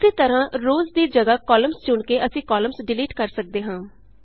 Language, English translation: Punjabi, Similarly we can delete columns by selecting columns instead of rows